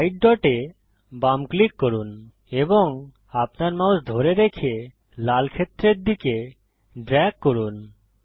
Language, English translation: Bengali, Left click the white dot, hold and drag your mouse to the red area